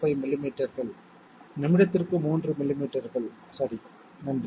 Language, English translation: Tamil, 05 millimetres per second equal to 3 millimetres per minute okay, thank you